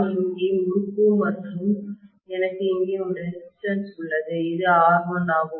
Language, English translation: Tamil, I have here is the winding and I have a resistance here which is R1, right